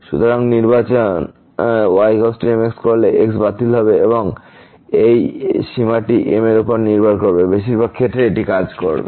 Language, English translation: Bengali, So, choosing is equal to the will get cancel and this limit will depend on m, in most of the cases this will work